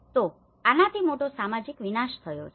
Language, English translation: Gujarati, So, this has caused a huge social destruction